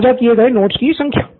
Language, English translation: Hindi, High number of notes shared